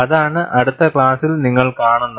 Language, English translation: Malayalam, That is what you would see in the next class